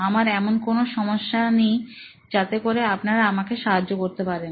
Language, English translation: Bengali, I do not really have anything that you can probably help me with’